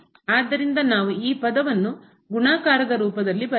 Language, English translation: Kannada, So, we can write down in the form of the product as